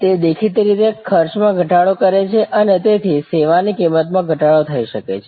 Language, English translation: Gujarati, It obviously, also in reduces cost and therefore, may be the service price will be reduced